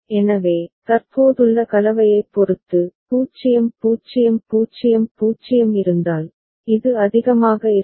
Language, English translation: Tamil, So, depending on the combination present, if 0 0 0 0 is present, so this will be high